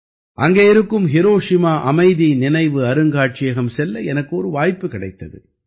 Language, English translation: Tamil, There I got an opportunity to visit the Hiroshima Peace Memorial museum